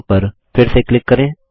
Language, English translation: Hindi, Lets click on From once again